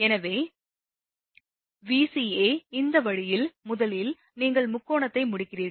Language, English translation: Tamil, So, Vca so, this way first you complete the triangle, right